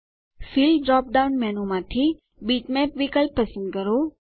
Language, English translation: Gujarati, From the Fill drop down menu, select the option Bitmap